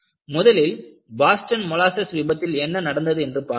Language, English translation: Tamil, We will look at what happened in the Boston molasses failure